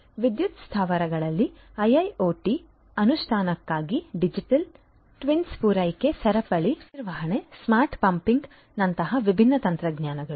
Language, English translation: Kannada, So, for IIoT implementation in the power plants different technologies such as digital twins such as supply chain management, smart pumping